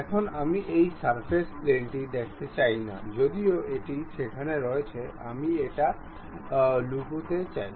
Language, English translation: Bengali, Now, I do not want to really see this reference plane though it is there; I would like to hide it